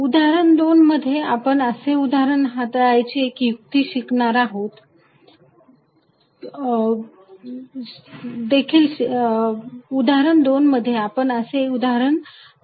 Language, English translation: Marathi, In example 2, you will also learn a trick to deal with such cases